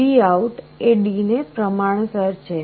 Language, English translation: Gujarati, So, VOUT is proportional to D